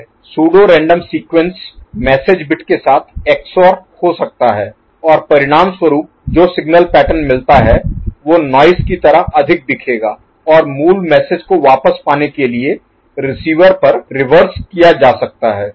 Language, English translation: Hindi, The pseudo random sequences can XORed with the message bit and the resultant signal pattern would look more noise like, and the reverse can be done at the receiver end to get back the original message